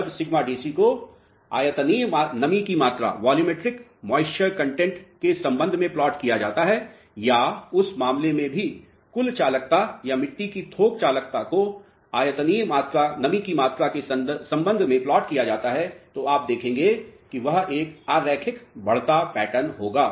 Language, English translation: Hindi, This sigma DC when it is plotted with respect to volumetric moisture content or for that matter even the total conductivity or the bulk conductivity of the soil when it is plotted with respect to volumetric moisture content what you will notice is there will be a increasing pattern non linear increasing pattern